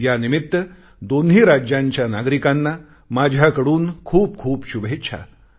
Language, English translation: Marathi, On this occasion, many felicitations to the citizens of these two states on my behalf